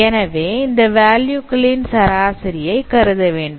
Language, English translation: Tamil, Of course you have to consider the averaging of that those values